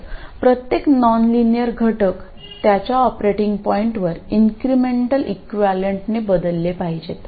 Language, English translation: Marathi, So every nonlinear element has to be replaced by its incremental equivalent at its operating point